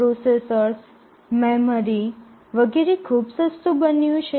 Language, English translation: Gujarati, The processors, memory etcetera have become very cheap